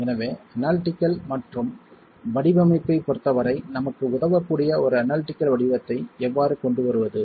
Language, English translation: Tamil, So, how do we then bring in an analytical form that can help us as far as analysis and design is concerned